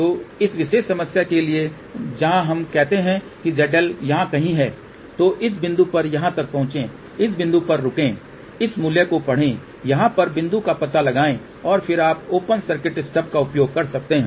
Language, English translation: Hindi, So, for this particular problem where let us say Z L is somewhere here, then these two this point move over here, stop at this point read the value locate the point over here and then you can use open circuit stub